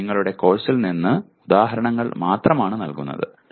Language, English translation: Malayalam, It is only giving examples from your course